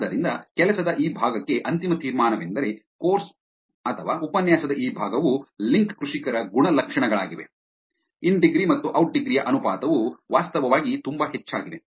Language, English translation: Kannada, So, the final conclusion for this part of the work is, this part of the course / lecture is characteristics of link farmers we found the in degree verses out degree ratio is actually pretty high